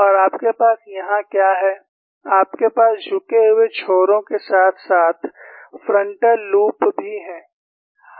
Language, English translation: Hindi, And what you have here is, you have forward tilted loops as well as a frontal loop